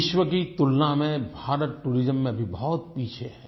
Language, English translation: Hindi, India lags far behind in tourism when compared to the world